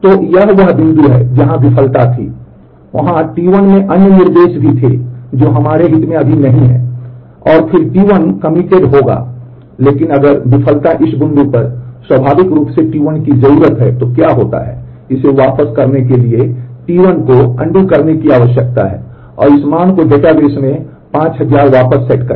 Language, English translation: Hindi, So, this is the point where there was a failure there were other instructions in T 1 as well which is not of our interest right now, and then T 1 would have committed, but what happens if the failure happens at this point naturally the T 1 needs to roll back T 1 needs to undo this and set the this value 5000 back into the database